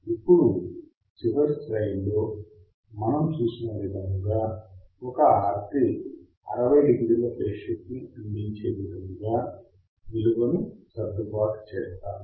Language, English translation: Telugu, Now, one RC we have seen in last slide will we will we will adjust the value such that it provides 60 degree phase shift